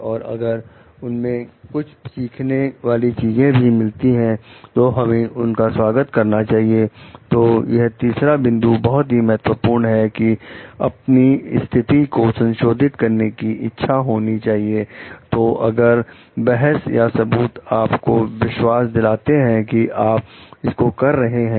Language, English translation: Hindi, And if something learning needs to be done from there, we must be open for it also, so that is what the third point is very important like be willing to revise your position, so if the arguments or evidence convinces you that you should be doing it